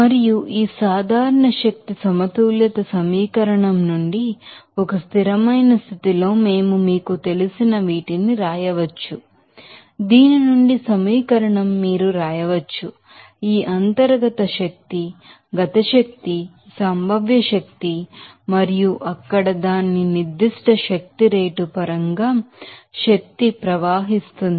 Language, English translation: Telugu, And from this general energy balance equation, at a steady state we can write these you know, equation here from this you can write, you know this internal energy kinetic energy potential energy and flow energy in terms of its specific energy rate there